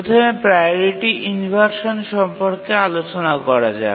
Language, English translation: Bengali, First, let's look at priority inversion